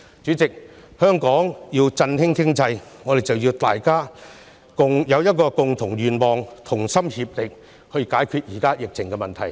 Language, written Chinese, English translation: Cantonese, 主席，為了振興香港經濟，我們必須目標一致，同心協力解決當前疫情的問題。, President in order to revitalize the economy of Hong Kong we must work towards a common goal and join hands to tackle the current epidemic